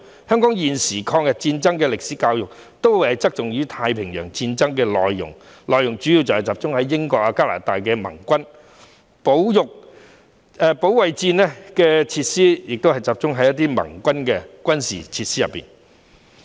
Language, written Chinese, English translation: Cantonese, 香港現時的抗日戰爭歷史教育側重於太平洋戰爭的內容，主要集中在英國和加拿大等盟軍，保育戰時設施亦集中在盟軍的軍事設施。, At present the history education on the War of Resistance in Hong Kong places more weight on the Pacific War mainly focusing on the Allies such as the United Kingdom and Canada . Conversation of wartime facilities is also oriented towards those of the Allies